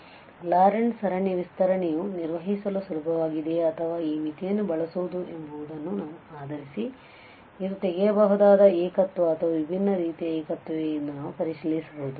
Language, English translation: Kannada, So, depending on the convenience of whether the Laurent series expansion is easy to perform or using this limit we can check whether it is removable singularity or different kind of singularity